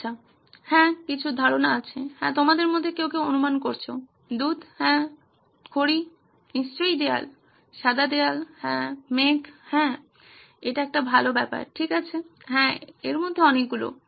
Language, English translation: Bengali, Well, yeah some of the ideas are, yes correct some of you guessed milk yeah, chalk, sure walls, white walls yeah, clouds yeah that’s a good one, okay yeah so many of those